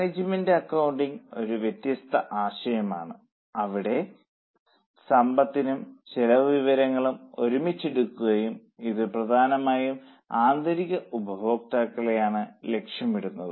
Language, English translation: Malayalam, This is a kind of umbrella concept where both financial and cost data are taken together and it is mainly targeted to internal users